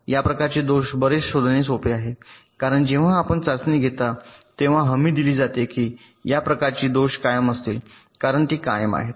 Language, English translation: Marathi, these kind of faults are much easier to detect because when you are carrying out the testing, it is guaranteed that this kind of faults will be present because it is permanent